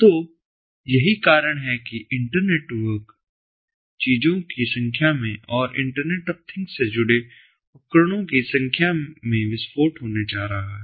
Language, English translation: Hindi, so that is the reason why we are going to have an explosion or in the number of these inter internetwork things, number of number of devices connected to the internet of things